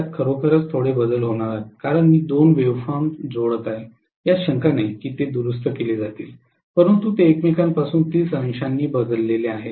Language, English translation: Marathi, It is going to have really really little variation because of the fact that I am adding up two wave forms which are alternating no doubt which are rectified, but they are phase shifted from each other by 30 degrees